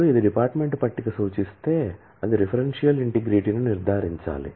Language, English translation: Telugu, Now, if it references the department table, it must ensure the referential integrity